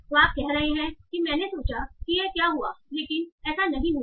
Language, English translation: Hindi, So you are saying the I thought that this would happen